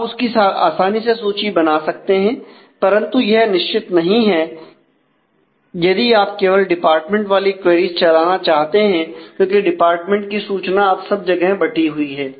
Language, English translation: Hindi, So, you can easily lift that, but certainly this is not true, if you want to involve queries which have department only; because that department information are all now sparsely distributed